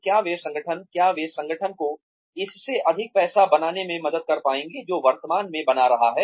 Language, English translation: Hindi, Will they be able to help the organization, make even more money than, it is making currently